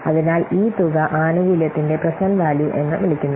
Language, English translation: Malayalam, So, this amount is called the present value of the benefit